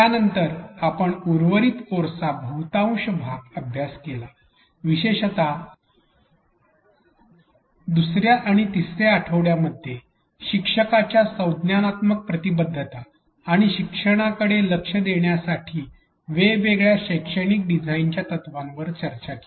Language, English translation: Marathi, We then spent the majority of the rest of the course especially in weeks 2 and 3 discussing various pedagogical design principles to address learners cognitive engagement and learning